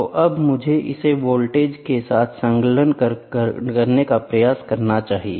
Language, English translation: Hindi, So now, I should try to attach it with the voltage